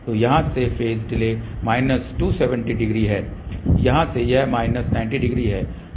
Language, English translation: Hindi, So, the phase delay from here is minus 270 degree from here it is minus 90 degree